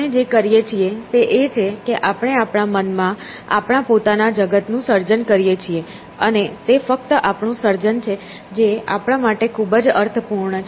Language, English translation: Gujarati, What we do is that we create our own worlds in our minds, and it is only our creation that is meaningful to us essentially